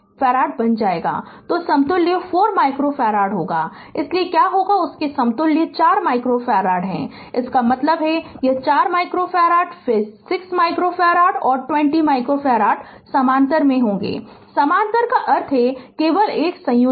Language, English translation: Hindi, So, equivalent will be 4 micro farad therefore, what will happen that ah their equivalent is 4 micro farad those; that means, this 4 micro farad then 6 micro farad and 20 micro farad are in parallel are in parallel parallel means just a combination just addition